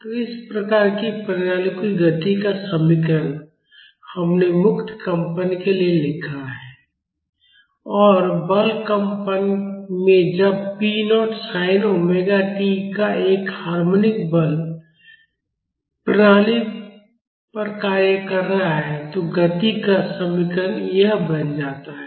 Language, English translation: Hindi, So, the equation of motion of this type of systems, we have written for free vibrations and in forced vibration when a harmonic force of p naught sin omega t is acting on the system, the equation of motion becomes this